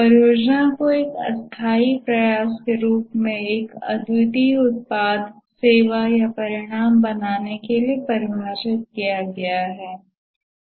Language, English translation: Hindi, The project is defined as a temporary endeavor undertaken to create a unique product service or result